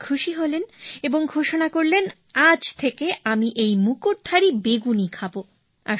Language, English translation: Bengali, " The king was pleased and declared that from today he would eat only this crown crested brinjal